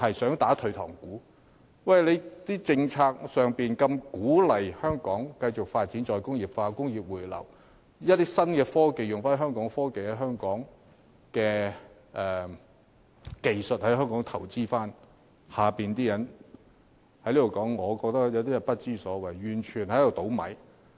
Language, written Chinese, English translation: Cantonese, 政府的政策是鼓勵香港再工業化、工業回流，以及在新科技發展方面採用本地技術和留港投資，但我想說的是其下有些人根本不知所謂，大搞破壞。, It is the Governments policy to encourage re - industrialization return of industries to Hong Kong application of local techniques in new technological development and investment in Hong Kong . But what I wish to say is that some people at the lower levels are downright troublemakers up to no good